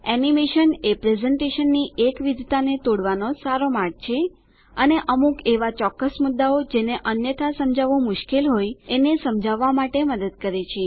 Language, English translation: Gujarati, Animation is a good way to break the monotony of a presentation and helps to illustrate certain points Which are difficult to explain otherwise however, be careful not to overdo it